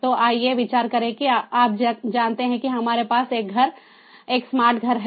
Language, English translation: Hindi, so let us consider that, ah, you know, we have in a smart home, we have to do something better